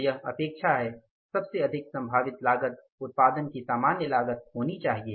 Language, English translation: Hindi, So, this is expectation, most likely to be attained cost but should be the normal cost of production